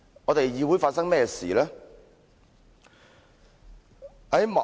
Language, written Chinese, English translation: Cantonese, "議會究竟發生甚麼事呢？, What is happening to the legislature?